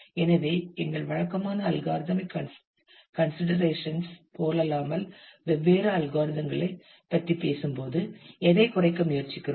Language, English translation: Tamil, So, unlike many of our typical algorithmic considerations; so when we talk about different algorithms, what we try to minimize